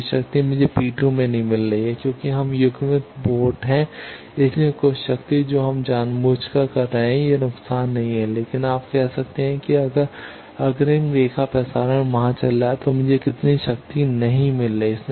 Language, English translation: Hindi, The full power I am not getting at P 2 that is because we are having coupled ports so some power we are deliberately doing, this is not loss but you can say that if the forward line transmission is going on there how much power I am not getting